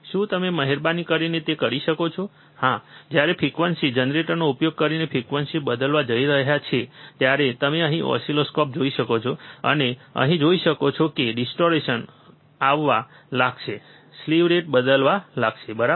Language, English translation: Gujarati, Can you please do that yeah so, when he is going to change the frequency using frequency generator you can see the oscilloscope here, and you can see here the distortion will start occurring slew rate will start changing, right